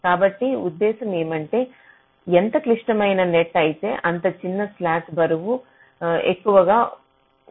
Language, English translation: Telugu, so the idea is that the more critical the net that means smaller slack the weight should be greater